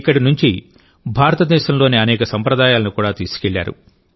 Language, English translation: Telugu, They also took many traditions of India with them from here